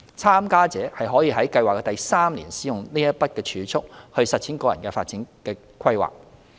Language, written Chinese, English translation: Cantonese, 參加者可於計劃的第三年使用該筆儲蓄來實踐個人發展規劃。, Participants may use the savings to realize their personal development plans PDPs in the third year of the project